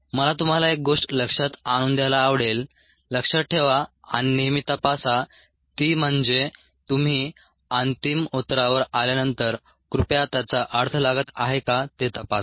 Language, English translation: Marathi, what are the things i would like you to note ah keep in mind and check always is: after you arrive at the final answer, please check whether it make some sense ah